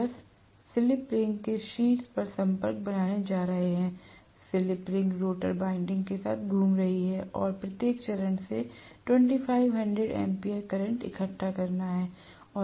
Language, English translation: Hindi, The brushes are going to make a contact on the top of the slip ring, the slip ring is rotating along with the rotor winding and a have to collect 2500 ampere of current from every phase, right